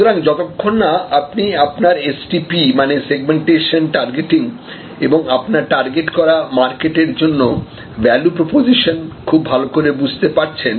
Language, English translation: Bengali, So, until and unless you very well understand your STP; that means, your Segmentation Targeting and the value proposition for your targeted market